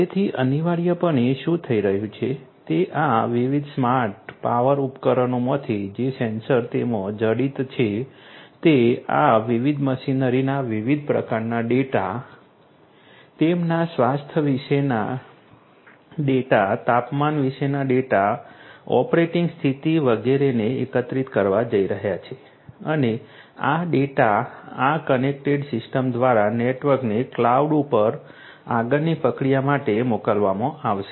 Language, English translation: Gujarati, So, essentially what is happening is from these different smart power devices the sensors that are embedded in them are going to collect different types of data, data about their health, data about the temperature, the operating condition, etcetera of these different machinery and these data are going to be sent through that through this connected system the network to the cloud for further processing